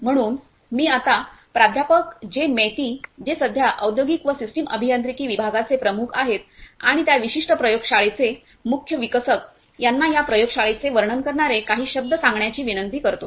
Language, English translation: Marathi, So, I now request Professor J Maiti who is currently the head of Industrial and Systems Engineering department and also the principal developer of this particular lab to say a few words describing this lab